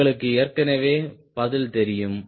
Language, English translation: Tamil, ok, you know the answer already